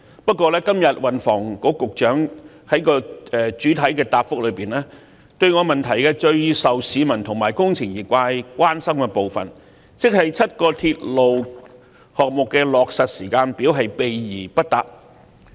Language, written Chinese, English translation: Cantonese, 不過，運房局局長今天在其主體答覆中，對我質詢內最受市民及工程業界關心的部分，亦即該7個鐵路項目的落實時間表卻避而不答。, However in his main reply the Secretary for Transport and Housing has evaded answering the part of my question about which Hong Kong people and members of the engineering sector are most concerned that is the implementation timetable for the seven new railway projects